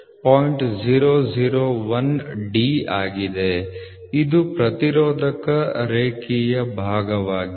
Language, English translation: Kannada, 001 of D this is linear factor